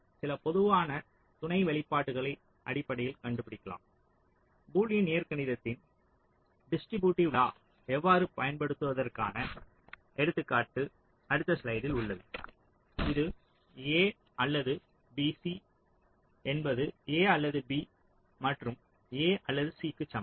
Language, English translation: Tamil, there is example, which is shown in the next slide, which uses the distributive law of boolean algebra which says that a or b, c is the same as a or b and a or c, right